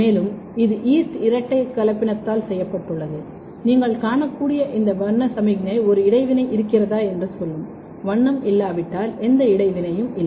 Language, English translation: Tamil, And, this has been done by the yeast two hybrid and what you can see this colour signal will tell there is a interaction, if there is no colour then there is no interaction